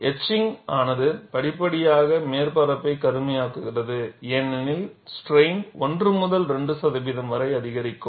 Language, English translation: Tamil, The etching has resulted in gradual darkening of the surface as the strain is increased from 1 to 2 percent